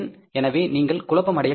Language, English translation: Tamil, So you should not get confused